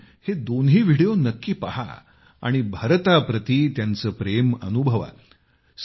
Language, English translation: Marathi, You must watch both of these videos and feel their love for India